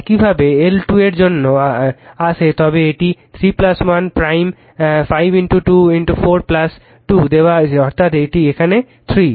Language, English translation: Bengali, Similarly if you come for L 2 it is given 3 plus 1 plus prime 5 into 2 4 plus 2, that is here it is 3